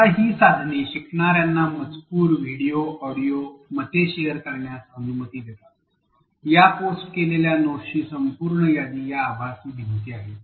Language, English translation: Marathi, Now, these tools allow learners to share text, video, audio, opinions, is these are virtual walls they contain a whole list of posted notes